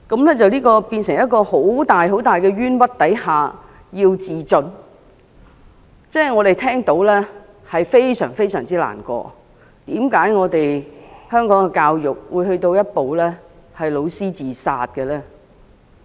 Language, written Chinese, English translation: Cantonese, 她在承受這麼大的冤屈下自盡，我們聽到後，也感到非常難過，為何香港的教育會走到教師自殺這地步？, She committed suicide after receiving such unjust treatment and this is very saddening to us . Why would education in Hong Kong drive teachers to end their lives?